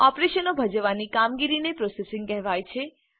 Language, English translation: Gujarati, The task of performing operations is called processing